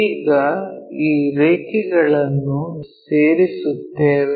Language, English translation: Kannada, Now, join these lines